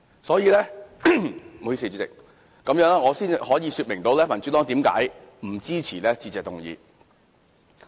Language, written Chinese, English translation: Cantonese, 所以，主席，這樣我才能說明民主黨為何不支持致謝議案。, Hence President this is why the Democratic Party cannot support the Motion of Thanks